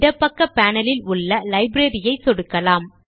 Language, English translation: Tamil, Let us click the library on the left hand side panel